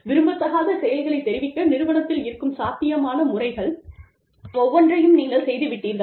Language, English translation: Tamil, You have gone through, every possible method, that the organization has, to report undesirable activities